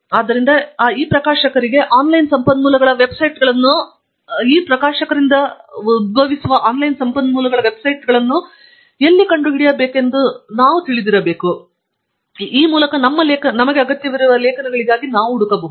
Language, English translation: Kannada, So, we must know where to find the websites of online resources for these publishers, so that we can search for our articles there